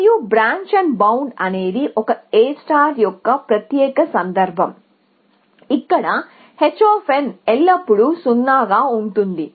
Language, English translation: Telugu, And you can see branch and bound is a special case of A star where h of n is always 0